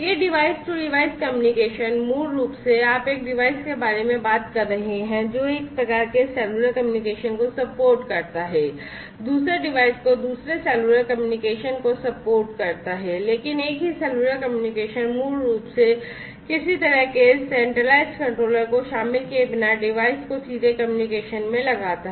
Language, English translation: Hindi, Plus this device to device communication so, basically, you know, you are talking about one device supporting one type of cellular communication with another device supporting another cellular communication not another, but the same cellular communication basically device to device direct communication without involving some kind of a centralized controller is going to be performed and that is sometimes required